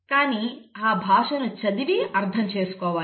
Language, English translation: Telugu, But that language has to be read and interpreted